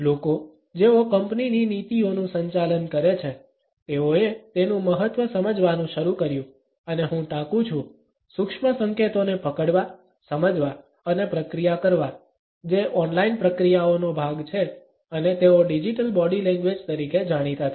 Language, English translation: Gujarati, The people, who manage company policies, started to realise the significance of and I quote “capturing, understanding and processing the subtle signals” that are part of the online processes and they came to be known as digital body language